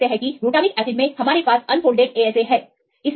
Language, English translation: Hindi, So, you can see the glutamic acid we have the unfolded sate ASA